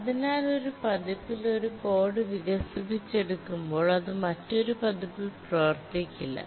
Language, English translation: Malayalam, So you develop code on one version, it don't work on another version